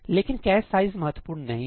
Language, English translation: Hindi, But the total cache size is not important